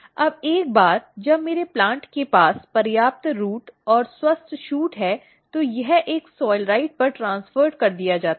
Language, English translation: Hindi, Now, once my plant is having enough root and healthy shoot this is transferred on a soilrite